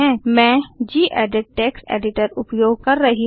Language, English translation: Hindi, I am using gedit text editor